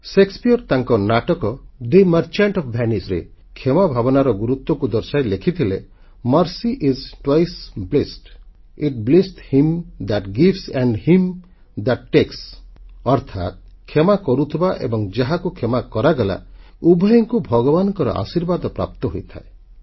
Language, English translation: Odia, Shakespeare in his play, "The Merchant of Venice", while explaining the importance of forgiveness, has written, "Mercy is twice blest, It blesseth him that gives and him that takes," meaning, the forgiver and the forgiven both stand to receive divine blessing